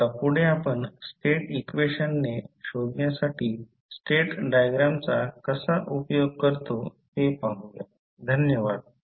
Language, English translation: Marathi, Now, we will see next how we will use the state diagram to find out the state equations, thank you